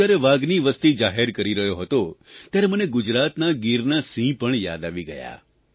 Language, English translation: Gujarati, At the time I was releasing the data on tigers, I also remembered the Asiatic lion of the Gir in Gujarat